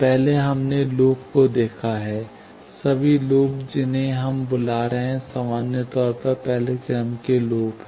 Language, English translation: Hindi, First, we have seen loops; all loops we are calling, in general, first order loops